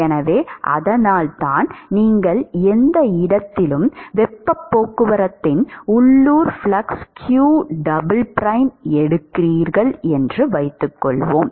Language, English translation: Tamil, So, supposing you take the local flux of heat transport q double prime at any location, let us say